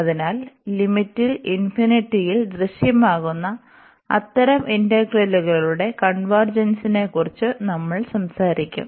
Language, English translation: Malayalam, So, we will be talking about the convergence of such integrals where infinity appears in the in the limit